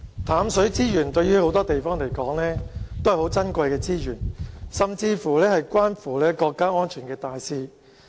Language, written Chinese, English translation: Cantonese, 淡水資源對很多地方來說，都是很珍貴的資源，甚至是關乎國家安全的大事。, Fresh water is a valuable resource for many places and it is even related to an important issue―national safety